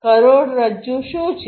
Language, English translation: Gujarati, What is the backbone